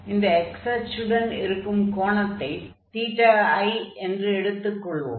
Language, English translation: Tamil, So, from this x axis we have this angle Theta i which we are denoting